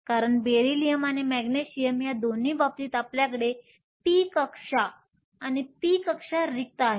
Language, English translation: Marathi, The reason is in the case of both Beryllium and Magnesium you also have the p shells and the p shells are empty